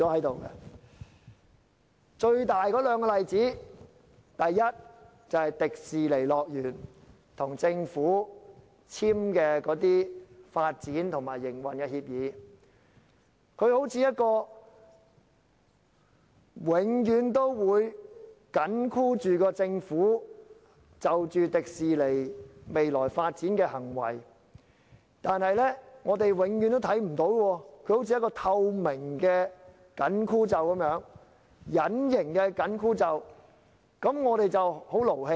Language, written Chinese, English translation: Cantonese, 兩個重大例子是，第一，迪士尼樂園與政府簽署的發展及營運協議，它永遠緊箍着政府對迪士尼樂園未來的發展，但我們永遠看不到它，好像一個透明的、隱形的"緊箍咒"，令我們感到很氣憤。, One is about the agreement between Hong Kong Disneyland and the Government on the development and operation of the theme park . The agreement has been like a spell cast on the Government controlling its decision on the future development of Disneyland . We are indignant because we can never see this agreement